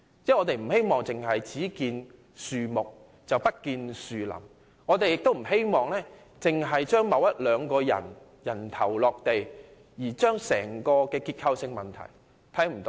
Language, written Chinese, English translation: Cantonese, 我們不希望見樹不見林，亦不希望着眼於令一兩個人"人頭落地"，而忽視整體的結構性問題。, We do not wish that we cannot see the wood for the trees; we also do not want the inquiry to focus on beheading one or two persons to the neglect of the overall systemic problems